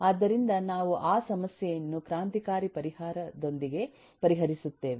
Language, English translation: Kannada, so we will solve that problem with a revolutionary solution